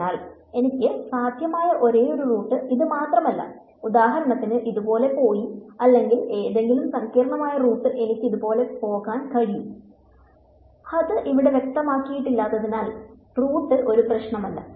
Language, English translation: Malayalam, So, it is not this is not the only root possible I could for example, have gone like this or any complicated root let I could have gone like this, does not matter it is not specified over here